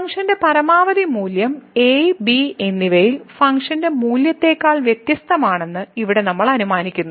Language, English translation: Malayalam, So, here we assume that the function the maximum value of the function is different than the function value at and